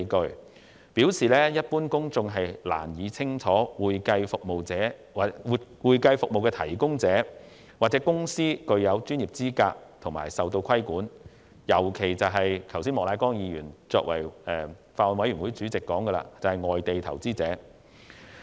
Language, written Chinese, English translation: Cantonese, 他表示，一般公眾難以明白會計服務提供者或公司具有的專業資格和所受到的規管，尤其是剛才法案委員會主席莫乃光議員所指的外地投資者。, He said that the general public particularly overseas investors as pointed out by Mr Charles Peter MOK Chairman of the Bills Committee would find it hard to understand the qualifications of individuals or companies providing accounting services and the regulations to which they were subject